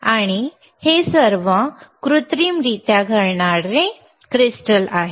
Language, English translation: Marathi, So, these are all synthetically occurring crystals